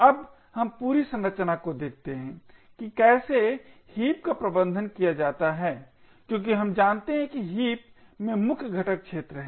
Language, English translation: Hindi, Now let us look at the whole structure of how the heap is managed as we know the main component in the heap is the arena